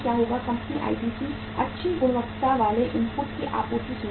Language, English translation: Hindi, Company will, ITC will ensure the supply of the good quality inputs